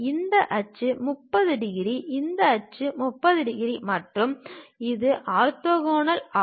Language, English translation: Tamil, We have this axis is 30 degrees, this axis is also 30 degrees and this is orthogonal